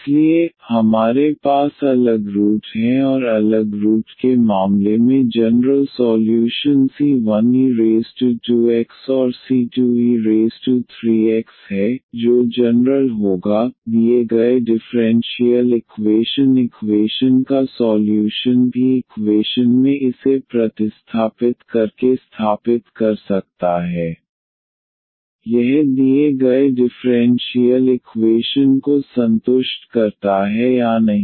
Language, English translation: Hindi, So, we have distinct roots and in case of the distinct root the general solution is c 1 e power this 2 x and c 2 e power 3 x that will be the general solution of the given differential equation one can also verify by substituting this into the equation, whether this satisfies the given differential equation or not